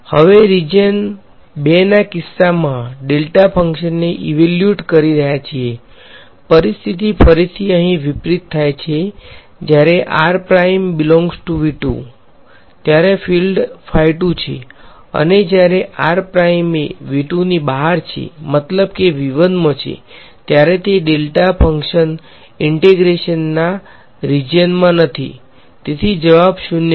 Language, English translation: Gujarati, Now evaluating the delta function in the case of region 2, again the situations reverse to here when r prime belongs to V 2 the field is phi 2; and when r prime is outside of V 2 that sits in V 1 then that delta function is not there in a region of integration, so, its answer is 0